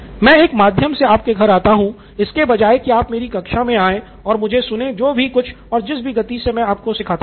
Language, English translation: Hindi, I come to your home through a medium rather than you coming to my class and listening to me at whatever pace I have to teach